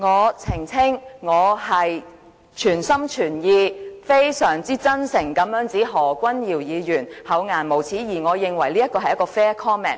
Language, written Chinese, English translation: Cantonese, 我澄清，我是全心全意、非常真誠地指何君堯議員厚顏無耻，而我認為這是 fair comment。, I clarify that I wholeheartedly and very sincerely accused Dr Junius HO of being shameless and I think that was a fair comment